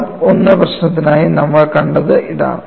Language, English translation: Malayalam, For the case of mode 1, what we did